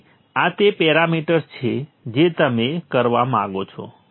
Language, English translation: Gujarati, So these are the parameters that you would like to